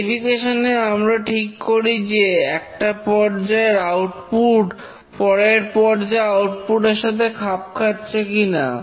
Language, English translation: Bengali, In verification, we determine whether output of one phase of development conforms to the previous phase